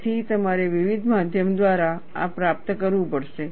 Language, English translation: Gujarati, So, you have to achieve this by various means